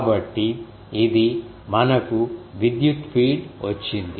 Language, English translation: Telugu, So, this is we have got the electric field